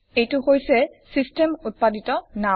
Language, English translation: Assamese, That is the system generated name